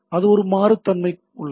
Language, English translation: Tamil, So, that is a dynamicity is there